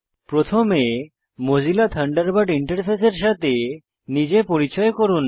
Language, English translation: Bengali, First, lets familiarise ourselves with the Mozilla Thunderbird interface